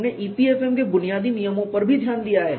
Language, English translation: Hindi, We have also looked at rudiments of EPFM